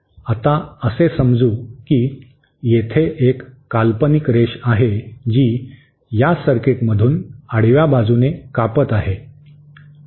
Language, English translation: Marathi, Now assume that there is an imaginary line which is cutting through these circuits along a horizontally